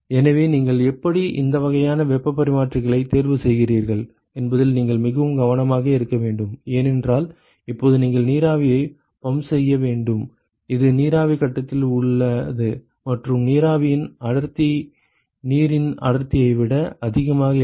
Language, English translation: Tamil, So, you have to be very careful as to how, which kind of heat exchangers you choose, because now you have to pump steam, which is in vapor phase and the density of steam is not as high as density of water